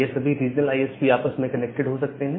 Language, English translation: Hindi, So, this regional ISPs they can have connectivity between themselves